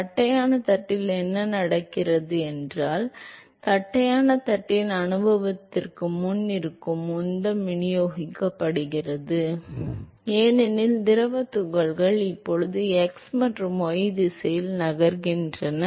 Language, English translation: Tamil, In flat plate what happens is that the momentum which is present before the experience of the flat plate is distributed because the fluid particles are now moving in both x and y direction